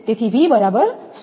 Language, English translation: Gujarati, So, V is equal to 100 kV